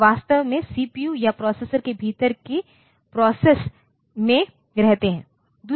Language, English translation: Hindi, So, they are actually residing in the CPU or the process within the processor